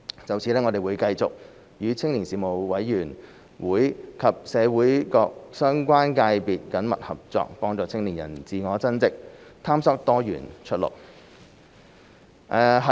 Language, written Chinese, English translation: Cantonese, 就此，我們會繼續與青年事務委員會及社會各相關界別緊密合作，幫助青年人自我增值，探索多元出路。, In this connection we will continue to work closely with the Youth Development Commission and relevant sectors of the community in helping young people to pursue self - enhancement and explore diversified pathways